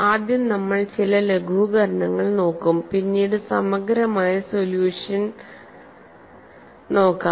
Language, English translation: Malayalam, So, first we look at certain simplifications, later on we look at exhausted solution